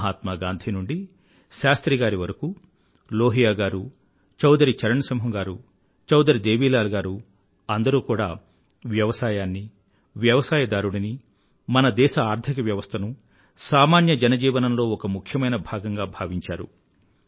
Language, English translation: Telugu, From Mahatma Gandhi to Shastri ji, Lohia ji, Chaudhari Charan Singh ji, Chaudhari Devi Lal ji they all recognized agriculture and the farmer as vital aspects of the nation's economy and also for the common man's life